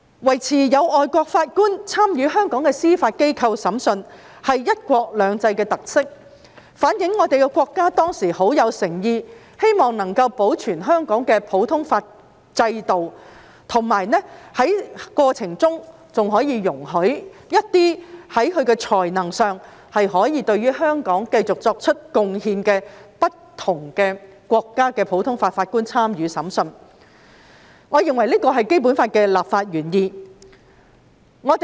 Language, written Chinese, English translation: Cantonese, 維持有外籍法官參與香港司法機構審訊是"一國兩制"的特色，反映國家當時有很大誠意希望保存香港的普通法制度，並在過程中容許一些在才能上可以對香港繼續作出貢獻的不同國家的普通法法官參與審訊，我認為這是《基本法》的立法原意。, The retention of foreign judges in Hong Kongs judicial system to participate in the adjudication of cases is a characteristic of one country two systems . This reflects the great sincerity of the State to preserve the common law system of Hong Kong and in the process allowing certain common law judges from various countries who can continue to contribute to Hong Kong with their abilities to participate in the adjudication of cases . I think this is the legislative intent of the Basic Law